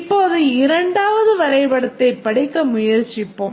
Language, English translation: Tamil, Now let's try to read this diagram